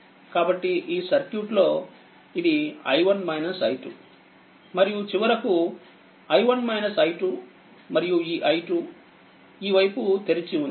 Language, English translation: Telugu, So, in this circuit it is i 1 minus i 2 right and finally, i 1 minus i 2 and that this i 2 this side is open